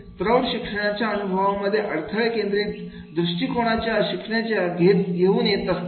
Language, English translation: Marathi, Adults enter into a learning experience with a problem centered approach to learning